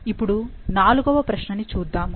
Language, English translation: Telugu, Now, let's look into question number 4